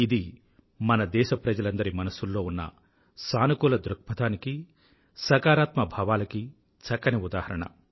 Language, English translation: Telugu, This is an exemplary glimpse of the feeling of positivity, innate to our countrymen